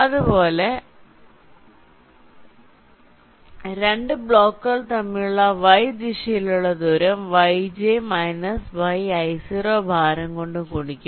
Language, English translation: Malayalam, similarly, in the y direction, distance between the two blocks will be yj minus yi zero multiplied by weight